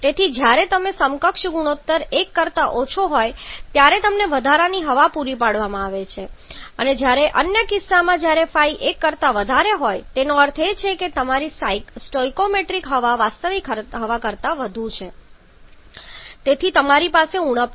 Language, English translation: Gujarati, So, when equivalence ratio is less than 1 you have been supplied with excess air whereas the other case when Phi is greater than 1 that means your stoichiometric air is more than the actual air and therefore you have deficiency